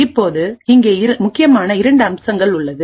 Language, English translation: Tamil, Now the critical part over here are two aspects